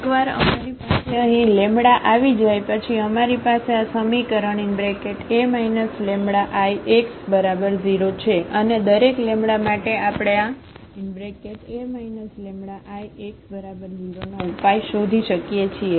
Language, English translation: Gujarati, Once we have the lambda here then we have this equation A minus lambda I x is equal to 0 and for each lambda we can find the solution of this A minus lambda I x is equal to 0